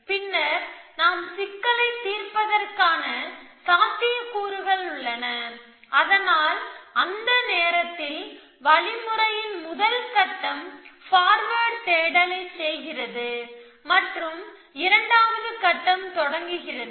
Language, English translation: Tamil, Then there is a possibility that we have solved the problem so that at that point, the first stage of the algorithm which is a powered space and the second stage begin